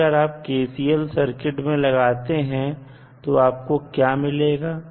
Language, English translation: Hindi, Now, if you apply kcl in this circuit what you can do